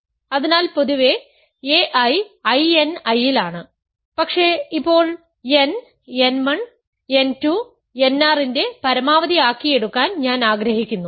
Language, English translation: Malayalam, So, in general a I is in I n I, but now I want to take n to be the max of n 1, n 2, n r